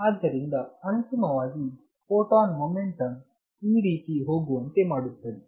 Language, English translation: Kannada, And therefore, finally, the photon momentum makes it go this way